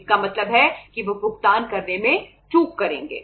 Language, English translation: Hindi, It means they will default in making the payment